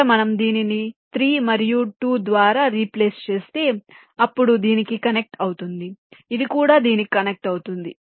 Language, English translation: Telugu, lets say, if we just replace this by three and this by two, then this will be connected to this